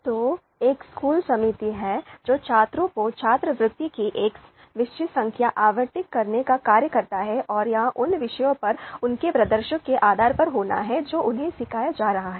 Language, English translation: Hindi, So, there is a school committee which is tasked with allocating a fixed number of scholarships to students and it has to be based on their performance, performances of course on the subjects that they are being taught